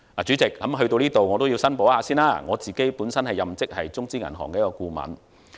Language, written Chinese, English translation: Cantonese, 主席，在這裏，我也要申報，我本身任職中資銀行顧問。, Chairman for good measure I have to declare here that I work as a consultant for a Chinese bank